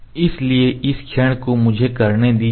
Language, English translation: Hindi, So, I have putting this moment let me do